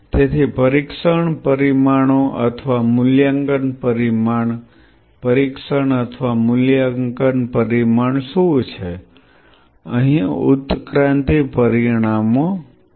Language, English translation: Gujarati, So, what are the testing parameters or evaluation parameter testing or evaluation parameter; here are the evolution parameters